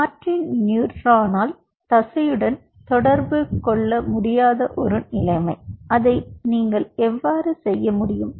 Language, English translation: Tamil, that is, a situation when martin neuron is unable to communicate with the muscle because they die out, to create a system, how you can do it